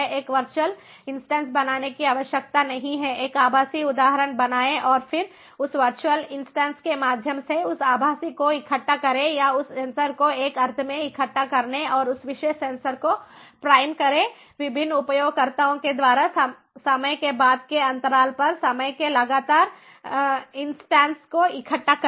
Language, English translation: Hindi, it is not required to create a virtual instance and then have that virtual, through that virtual instance, collect or prime that particular sensor, to collect the data, to make that sensor, in a sense, and collect the data at, you know, consecutive instances of time at subsequent intervals of time by different users, so it is required to cache